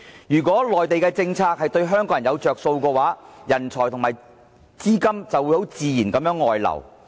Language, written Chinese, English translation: Cantonese, 如果內地的政策對香港人有"着數"的話，香港的人才和資金就自然會外流。, Also if the Mainland introduces any policies that favour Hong Kong people talents and capitals will naturally leave Hong Kong